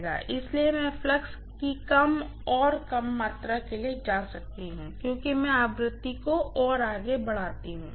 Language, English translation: Hindi, So, I can go for less and less amount of flux as I increase the frequency further and further